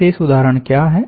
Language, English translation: Hindi, what are the special examples